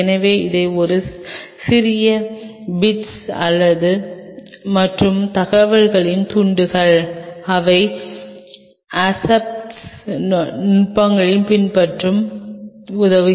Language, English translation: Tamil, So, these are a small bits and pieces of information’s which will help you to follow the aseptic techniques